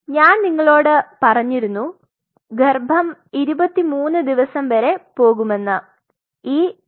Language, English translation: Malayalam, So, I told you that the pregnancy goes up to say E 23, 23 days